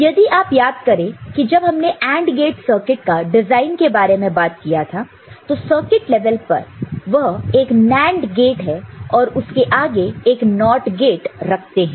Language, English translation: Hindi, And remember when we talk about design you know, circuit of AND gate at circuit level it is not a NAND gate then again a NOT gate is put